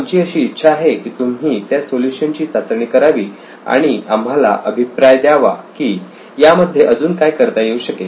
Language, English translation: Marathi, We would like you to test the solution and get a feedback what can be done with this application